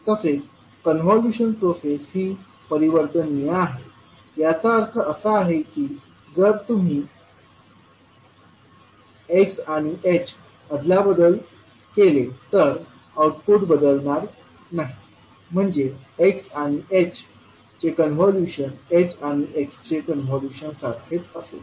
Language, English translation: Marathi, Now the convolution process is commutative, that means if you interchange the positions of x and h, the output is not going to change that means convolution of x and h will be same as convolution of h and x